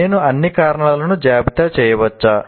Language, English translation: Telugu, Can I list all the causes